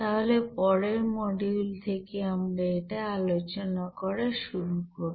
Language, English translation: Bengali, So we will be discussing from next module onward those things